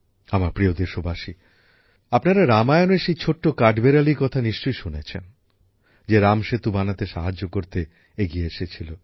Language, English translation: Bengali, My dear countrymen, you must have heard about the tiny squirrel from the Ramayana, who came forward to help build the Ram Setu